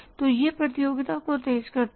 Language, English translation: Hindi, So it intensified the competition